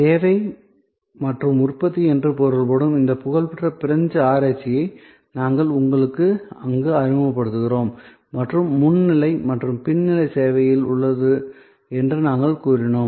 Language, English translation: Tamil, And there we actually introduce you to this famous French research on servuction, which is means service and production and we said that, there is a front stage and there is a back stage in service